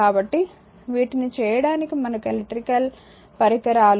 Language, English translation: Telugu, So, to do these we require in interconnections of electrical devices right